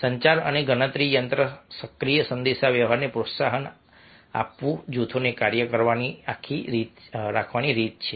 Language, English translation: Gujarati, promoting communication and counter active communication are ways to keep groups on task